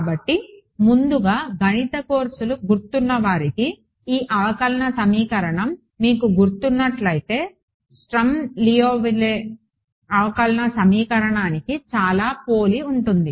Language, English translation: Telugu, So, first of all those of you who remember from your math courses, this differential equation looks very similar to the Sturm Liouville differential equation if you remember it